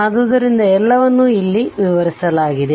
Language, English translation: Kannada, So, this is all have been explained here